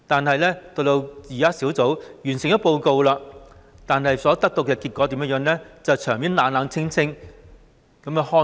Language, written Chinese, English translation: Cantonese, 可是，當專責小組完成報告後，所得的結果卻得到冷清的對待。, However after the Task Force had completed its report the results derived by it were cold - shouldered